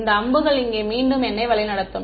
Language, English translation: Tamil, These arrows will nicely guide me back in over here